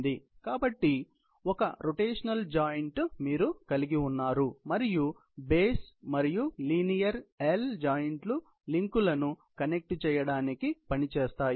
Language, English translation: Telugu, So, you have one rotatory joint, and the base and the linear L joints succeed to connect the links